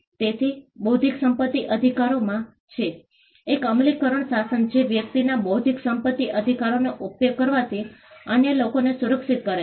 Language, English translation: Gujarati, So, there is in intellectual property rights, an enforcement regime which protects others from using a person’s intellectual property rights